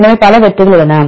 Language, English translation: Tamil, So, there are several hits